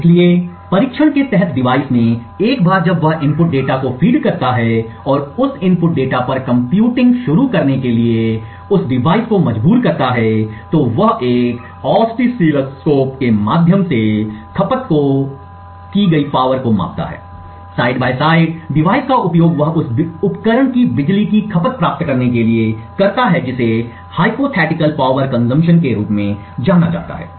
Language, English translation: Hindi, So, to the device under test once he feeds the input data and forces that device to start computing on that input data, he measures the power consumed through an oscilloscope, side by side he uses the device model to obtain what is known as a Hypothetical Power consumption of that device